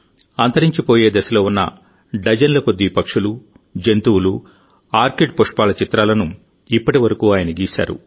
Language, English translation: Telugu, Till now he has made paintings of dozens of such birds, animals, orchids, which are on the verge of extinction